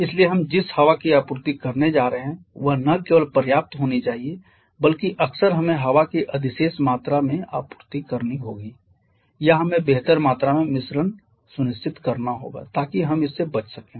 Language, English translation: Hindi, So, the quantity of air that we are going to supply that not only has to be sufficient rather often we have to supply surplus quantity of here or we need to ensure a better amount of mixing so that we can avoid this